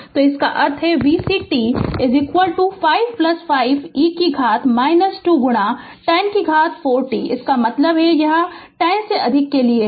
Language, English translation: Hindi, So, that means v c t is equal to 5 plus 5 e to the power minus 2 into 10 to the power 4 t ah your, that means that is for t greater than 0